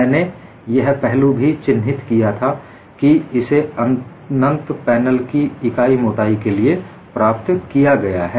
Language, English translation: Hindi, Another aspect also, I pointed out that this is obtained for an infinite panel of unit thickness